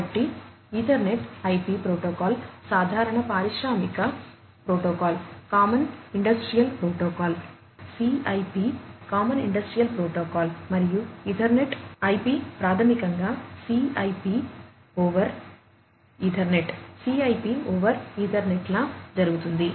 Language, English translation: Telugu, So, this Ethernet IP protocol follows the common industrial protocol, Common Industrial Protocol CIP, common industrial protocol and Ethernet IP basically happens to be like, CIP over Ethernet, CIP over Ethernet